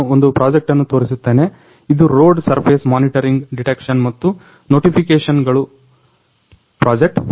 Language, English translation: Kannada, So, I am going to demonstrate a project, the project is road surface monitoring detections and notifications